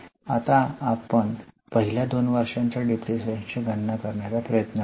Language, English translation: Marathi, So, we will try to calculate depreciation for first two years